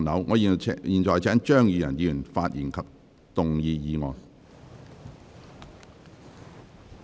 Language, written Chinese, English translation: Cantonese, 我現在請張宇人議員發言及動議議案。, I now call upon Mr Tommy CHEUNG to speak and move the motion